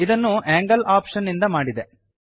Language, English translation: Kannada, This is done by the angle option